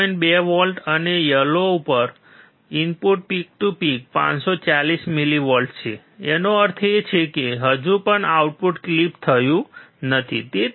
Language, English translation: Gujarati, 2 volts at the output, and the input is yellow one peak to peak 540 millivolts; that means, still the output has not been clipped so, 0